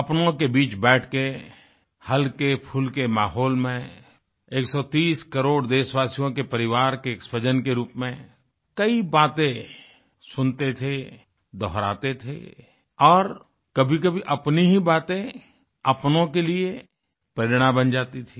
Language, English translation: Hindi, It used to be a chat in a genial atmosphere amidst the warmth of one's own family of 130 crore countrymen; we would listen, we would reiterate; at times our expressions would turn into an inspiration for someone close to us